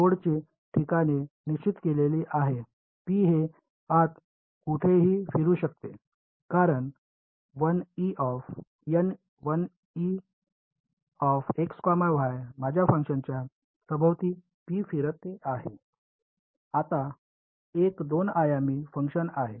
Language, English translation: Marathi, The node locations are fixed P can roam around anywhere inside, as P roams around my function N 1 e is now a 2 dimensional function